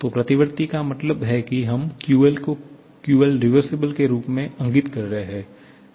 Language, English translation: Hindi, So, reversible means we are indicating QL as QL reversible